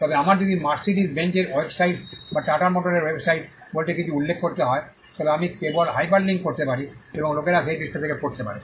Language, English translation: Bengali, So, it is objective of, but if I need to refer to something say Mercedes Benz’s website or Tata motor’s website so, something I can just hyperlink and people can read from that page